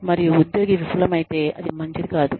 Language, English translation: Telugu, And, if the employee fails, then so be it